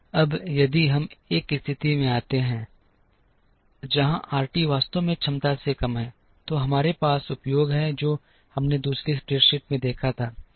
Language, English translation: Hindi, Now, if we get into a situation, where RT is actually less than what is the capacity, then we have under utilization, which we saw in the second spreadsheet